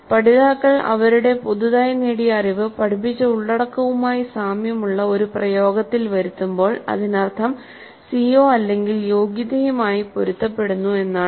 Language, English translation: Malayalam, So when learners engage in application of their newly acquired knowledge that is consistent with the type of content being taught which essentially means consistent with the CBO or competency